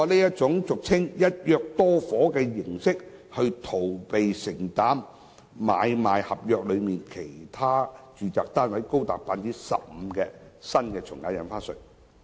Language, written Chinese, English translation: Cantonese, 他通過俗稱"一約多伙"的形式，逃避承擔買賣合約內其他住宅單位高達 15% 的新從價印花稅。, By means of the arrangement commonly known as buying multiple flats under one agreement he avoids the payment of new AVD at a rate of 15 % for other residential flats under the sale and purchase agreement